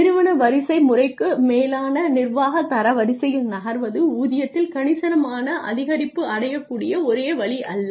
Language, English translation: Tamil, So that moving into management ranks or up the organizational hierarchy is not the only way to achieve a substantial increase in pay